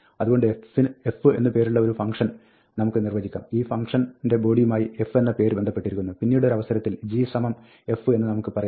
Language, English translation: Malayalam, So, we can define a function f, which as we said, associates with the name f, the body of this function; at a later stage, we can say g equal to f